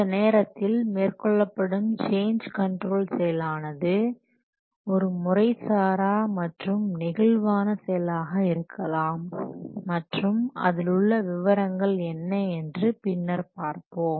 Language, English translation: Tamil, Any change control process at this point would be very informal and it will flexible and later on we will see the details